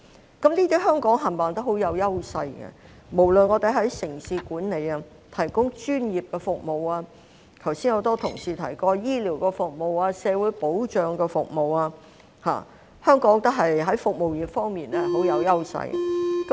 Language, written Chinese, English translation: Cantonese, 香港在這些方面全部也相當有優勢，我們無論在城市管理、提供專業服務，或剛才很多同事提及的醫療服務、社會保障服務，香港在服務業方面相當有優勢。, Hong Kong does have edges in all these areas such as urban management the provision of professional services or medical or social security services mentioned by many colleagues earlier . Hong Kong enjoys great advantages in the services industries